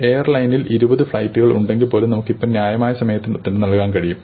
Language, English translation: Malayalam, If the airline grows to twenty flights, we will still have be able to give our answer in a reasonable time